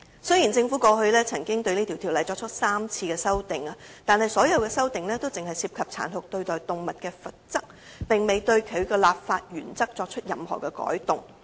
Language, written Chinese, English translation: Cantonese, 雖然政府過去曾就該條例作出3次修訂，但所有修訂僅涉及殘酷對待動物的罰則，卻並未對其立法原則作任何改動。, While three amendments had been made to the Ordinance all of them were related to revision in penalty for cruelty to animals without changing the underlying legislative principles